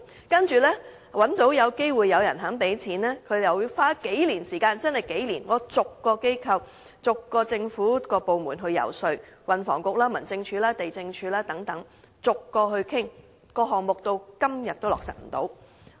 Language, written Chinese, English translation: Cantonese, 當找到機會有人提供資金後，我們要花數年時間逐個政府部門遊說，包括運輸及房屋局、民政事務總署、地政總署等，但項目至今仍未能落實。, After we got an opportunity for funding support we had to lobby government departments one after another in the several years which followed including the Transport and Housing Bureau the Home Affairs Department the Lands Department and so on . But so far the project has yet to materialize